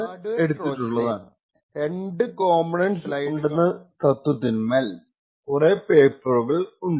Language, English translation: Malayalam, Now a lot of the paper is based on the fact that the hardware Trojan comprises of two components